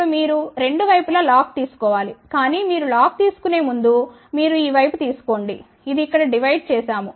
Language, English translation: Telugu, Now, what should you do you take log on both the sides, but before you take log you take this one this side, this divided over here